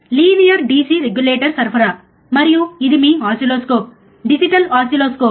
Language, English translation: Telugu, Linear DC regulator supply, and this is your oscilloscope, digital oscilloscope